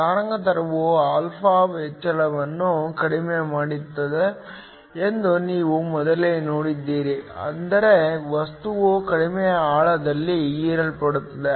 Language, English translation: Kannada, You have seen earlier that as the wavelength reduces alpha increases, which means the material gets absorbed at a lower depth